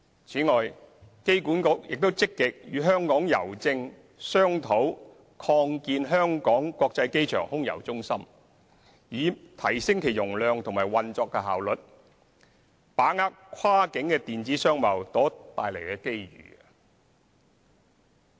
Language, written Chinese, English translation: Cantonese, 此外，機管局亦積極與香港郵政商討擴建香港國際機場空郵中心，以提升其容量和運作效率，把握跨境電子商貿所帶來的機遇。, In addition AA actively negotiates with Hongkong Post to expand the Air Mail Centre at the Hong Kong International Airport so as to enhance its capacity and operational efficiency and grasp the opportunities brought by cross - border e - commerce